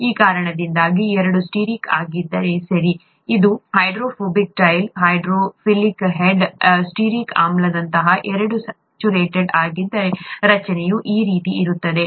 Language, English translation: Kannada, Because of that, if both are stearic, okay, this, this is the hydrophobic tail, hydrophilic head; if both are saturated, such as stearic acid, the structure is going to be something like this